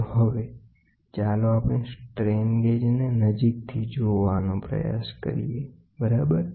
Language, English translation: Gujarati, So now, let us try to look at a strain gauge much closer, ok